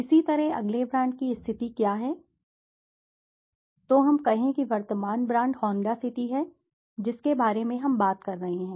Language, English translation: Hindi, Similarly next is what is the positioning of the current brands, so let us say the current brand is Honda City we are talking about